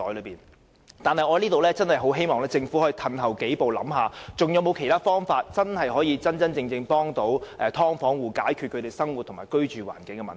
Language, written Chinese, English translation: Cantonese, 不過，我在此真的很希望政府可以退後想一想，還有沒有其他方法可以真正幫助"劏房戶"解決生活和居住環境的問題。, However I earnestly hope that the Government will take a step back and see if there are any other ways that can genuinely help households of subdivided units address problems related to their livelihood and living environment